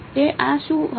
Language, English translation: Gujarati, So, what will this be